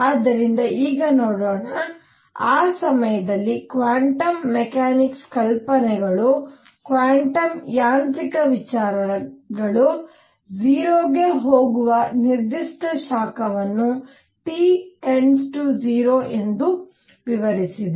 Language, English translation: Kannada, So, let us see now, how quantum mechanics ideas quantum mechanical ideas at that time explained the specific heat going to 0 as T goes to 0